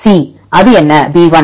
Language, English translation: Tamil, C; what it b1